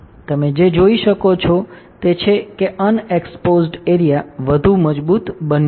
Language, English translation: Gujarati, What you can see is that the unexposed area became stronger right